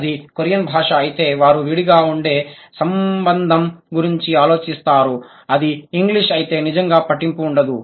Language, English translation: Telugu, If it is Korean, they would think about loose connection, close fit, if it is English, doesn't really matter